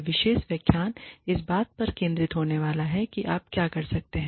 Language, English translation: Hindi, This particular lecture is going to be focused on, what you can do